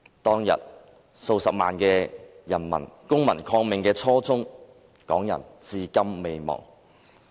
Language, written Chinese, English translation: Cantonese, 當天，數十萬人公民抗命的初衷，港人至今未忘。, Hong Kong people have not forgotten the faith of the several hundred thousand people who partook in civil disobedience that very day